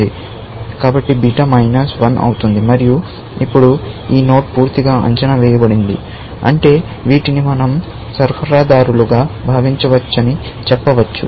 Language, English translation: Telugu, So, beta becomes minus 1 and now, this node is, of course, completely evaluated, which means, it can say we can think of these as suppliers